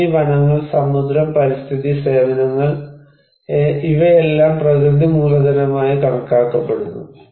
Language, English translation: Malayalam, Land, forests, marine, environmental services, so all are considered to be natural capital